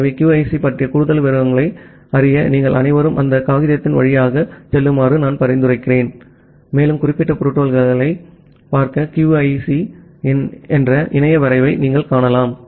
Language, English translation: Tamil, So, I suggest all of you to go through that paper to know more details about QUIC, also you can see the internet draft of QUIC to look into the specific protocol